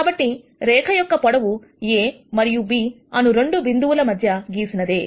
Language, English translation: Telugu, So, that would be the length of the line that is, drawn between the 2 points A and B